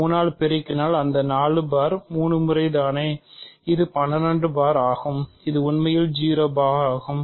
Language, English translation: Tamil, So, multiplying by 3 means it is adding 4 bar 3 times to itself this is 12 bar which is actually 0 bar